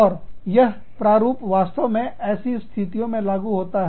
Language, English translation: Hindi, And, this model, really applies to situations, like those